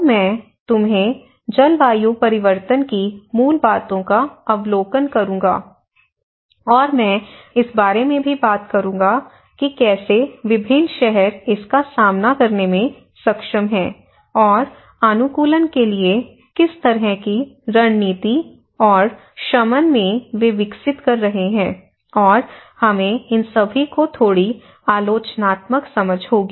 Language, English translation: Hindi, So, I will give you an overview of the basics of climate change understanding and I will also talk about how different cities are able to cope up with it, and what kind of strategies of for adaptation and mitigation they are developing and we will have a little critical understanding of all these approaches